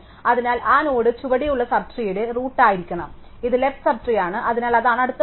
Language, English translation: Malayalam, So, therefore that node must be the root of the sub tree below is this is the left sub tree, therefore that is the next value